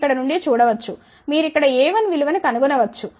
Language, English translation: Telugu, You can see from here you can find the value of a 1 from here